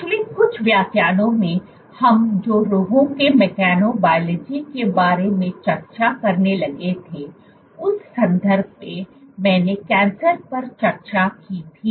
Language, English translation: Hindi, In the last few lectures that started discussing about Mechanobiology of diseases and in that context, I had discussed Cancer